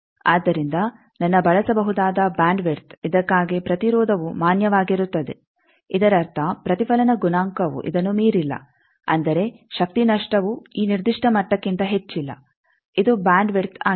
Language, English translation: Kannada, So, my usable bandwidth for which impedance is valid; that means, reflection coefficient is not going beyond this; that means, power loss is not beyond a certain level that this is bandwidth